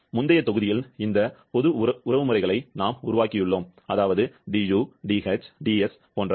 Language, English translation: Tamil, Because in the previous module, we have developed this general relations; du, dh, ds etc